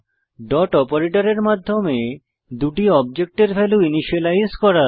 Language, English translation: Bengali, Then initialize the values of the two objects using dot operator